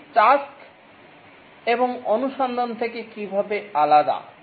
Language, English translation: Bengali, How is it different from tasks and exploration